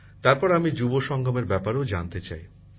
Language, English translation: Bengali, Then I also want to know about the Yuva Sangam